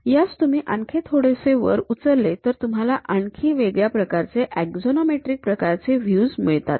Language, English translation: Marathi, If you lift it further up, you will have it other axonometric kind of views